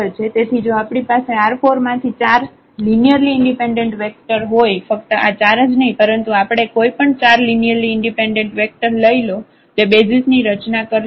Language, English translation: Gujarati, So, if we have 4 linearly any 4 linearly independent vectors from R 4 not only this 4 vectors we can pick any 4 linearly independent vectors that will form a basis